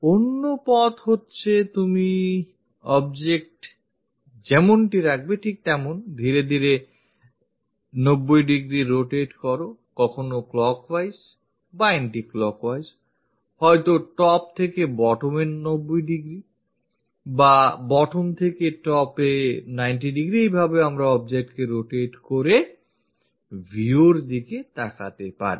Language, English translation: Bengali, The other way is is more like you keep the object, slowly rotate it by 90 degrees either clockwise, anti clockwise kind of directions or perhaps from top to bottom 90 degrees or bottom to top 90 degrees